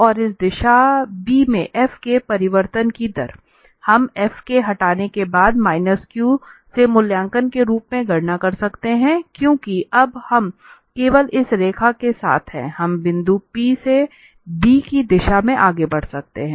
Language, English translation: Hindi, And the rate of change of this f in the direction of b, we can compute as that f evaluated at q minus because now we are in the direction of b only along this line we are moving in the direction of b from the point p